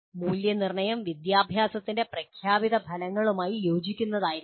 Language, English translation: Malayalam, Assessment should be in alignment with stated outcomes of education